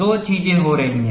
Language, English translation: Hindi, There are two things happening